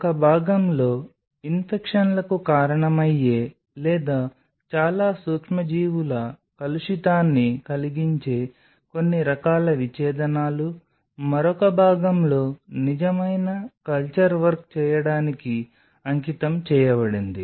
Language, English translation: Telugu, The part one where some of the kind of dissections which may cause infections or which may cause a lot of microbial contamination should be done in one part whereas, the other part is dedicated for doing the real culture work